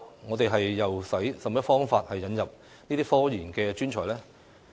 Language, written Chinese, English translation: Cantonese, 我們應以甚麼方法引入科研專才？, In what ways should we bring in RD professionals?